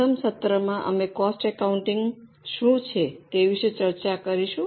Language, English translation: Gujarati, In our first session, we discussed about what is cost accounting